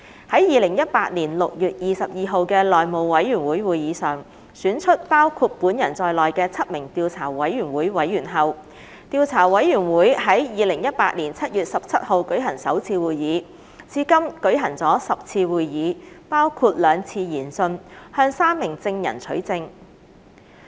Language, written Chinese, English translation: Cantonese, 於2018年6月22日的內務委員會會議上選出包括本人在內的7名調查委員會委員後，調查委員會於2018年7月17日舉行首次會議，至今共舉行了10次會議，包括兩次研訊，向3名證人取證。, After the election of seven Members including me for appointment to the Investigation Committee at the House Committee meeting on 22 June 2018 the Investigation Committee held its first meeting on 17 July 2018 and has hitherto conducted a total of 10 meetings including two hearings to obtain evidence from three witnesses